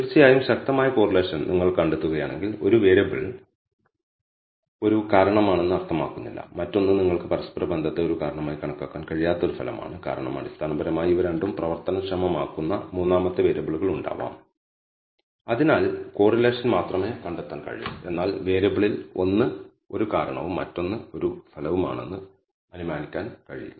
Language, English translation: Malayalam, Of course, if you find the strong correlation it does not mean that a the one variable is a causation, the other is an effect you cannot treat correlation as a causation because there can be a third variable which is basically triggering these two and therefore you can only find the correlation, but cannot assume that one of the variable is a causation and the other is an effect